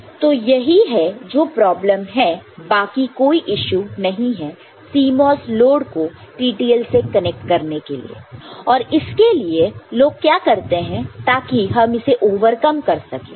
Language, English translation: Hindi, So, that is what is only the problem otherwise there is no issue in connecting CMOS load to TTL and for that what people use how to how it is overcome